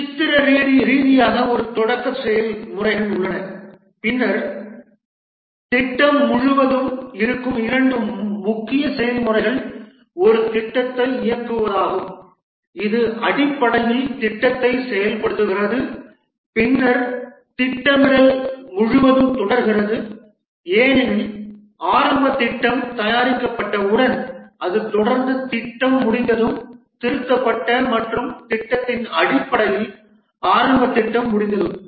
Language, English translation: Tamil, If we represent that pictorially, there is a startup processes and then two main processes which exist throughout the project are the directing a project which is basically execution of the project and then planning continues throughout because once the initial plan is made it is continuously revised and based on the plan once the plan is complete initial plan is complete the project is initiated and the project undergoes various stages